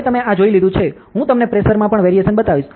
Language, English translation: Gujarati, Now that you have seen this, I will show you the variation in the pressure also